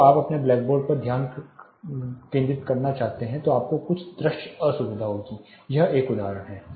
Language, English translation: Hindi, When you want to focus on your black board, you will be having certain visual discomfort this is one example